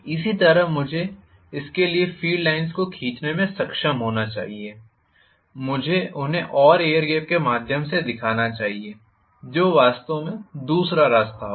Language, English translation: Hindi, Similarly, I should be able to draw the field lines for this as well, I should show them more through the air gap which will actually be the other way round, Right